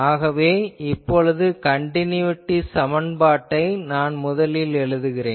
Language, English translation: Tamil, So, I just first invoke the continuity equation